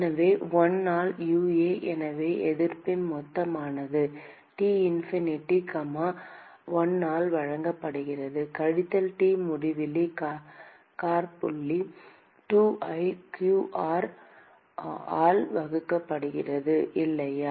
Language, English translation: Tamil, And so, 1 by UA so, resistance total is given by T infinity comma 1, minus T infinity comma 2 divided by q r, right